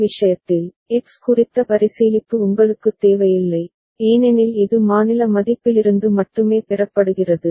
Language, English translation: Tamil, In this case, you don’t need the consideration for X, because it is solely derived from state value